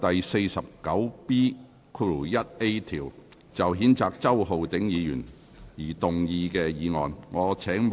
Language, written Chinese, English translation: Cantonese, 根據《議事規則》第 49B 條，就譴責周浩鼎議員而動議的議案。, Motion under Rule 49B1A of the Rules of Procedure to censure Mr Holden CHOW